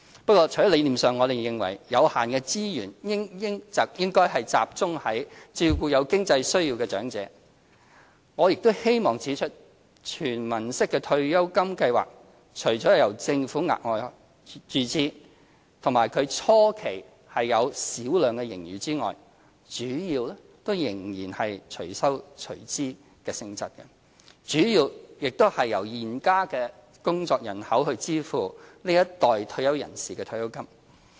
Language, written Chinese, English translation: Cantonese, 不過，除了理念上我們認為有限的資源應集中照顧有經濟需要的長者，我也希望指出，"全民式"退休金計劃除了由政府額外注資，以及初期有小量盈餘外，主要仍屬"隨收隨支"性質，主要由現時的工作人口支付這一代退休人士的退休金。, However on top of the idea that we should concentrate our limited resources on the needy elderly I would also like to point out that an universal pension scheme will require the Governments additional injections . And although such a scheme will record minor surplus in the beginning it is mainly pay - as - you - go in nature in which the working population today will have to pay for the retirement pension received by the current generation of retirees